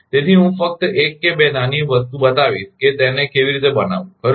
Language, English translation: Gujarati, So, I will show only 1 or 2 small thing how to make it right